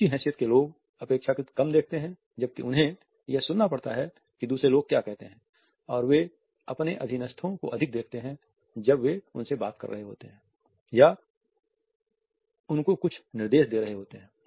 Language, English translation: Hindi, People of higher status look relatively less while they have to listen to what other people say and they look at their subordinates more while they are talking to them or passing on certain instructions to them